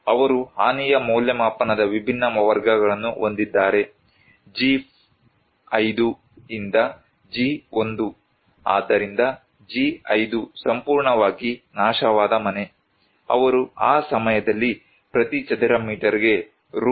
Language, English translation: Kannada, They have different categories of damage assessment; G5 to G1, so G5 which was completely destroyed house, they can get that time Rs